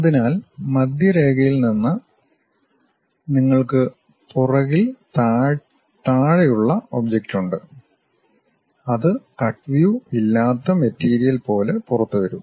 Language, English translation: Malayalam, So, from center line you have the bottom back side object which really comes out like a material without any cut view